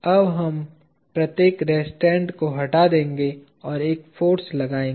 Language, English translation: Hindi, Now, we will remove each restraint and insert a force